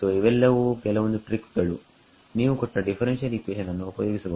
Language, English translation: Kannada, So, these are some of the compromises or tricks you can use given some differential equation